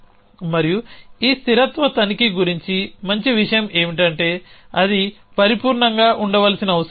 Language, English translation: Telugu, And the good thing about this consistency check is at it does not have to be perfect